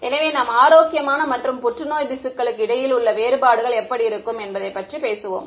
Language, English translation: Tamil, So, we will talk about how we will distinguish between healthy and cancerous tissue